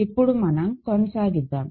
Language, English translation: Telugu, Let us continue